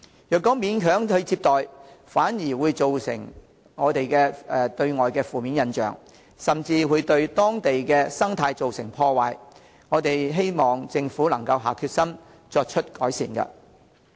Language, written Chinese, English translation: Cantonese, 若勉強接待，反而對外造成負面印象，甚至對當地生態造成破壞，希望政府能下決心作出改善。, If the villages are forced to receive tourists a negative image will instead be created externally and damage may even be caused to local ecology . I hope that the Government will have the commitment to make improvements